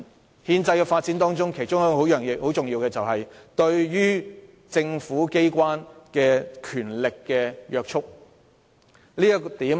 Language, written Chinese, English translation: Cantonese, 而在憲制的發展中，其中一個重要元素是對於政府機關的權力的約束。, One of the key elements of this process is the restraint on the power of government organs